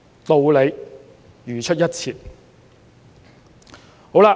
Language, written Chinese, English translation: Cantonese, 道理如出一轍。, The reasoning is exactly the same